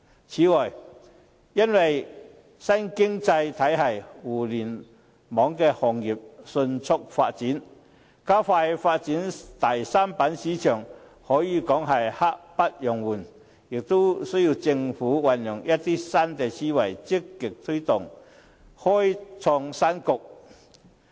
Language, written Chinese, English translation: Cantonese, 此外，因應新經濟體系和互聯網行業迅速發展，加快發展第三板市場可以說是刻不容緩，而政府亦需要運用一些新思維，積極推動，開創新局。, Moreover in light of rapid development of the new economy and the Internet industry there is a pressing need to expedite the development of a third listing board market . Likewise the Government needs to think of some new ideas to proactively facilitate the opening up of a new horizon